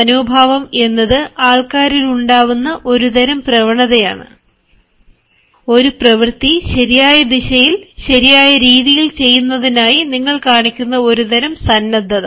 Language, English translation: Malayalam, attitude is a sort of tendency, a sort of willingness that you display in order to get a work done in the right direction, in the right way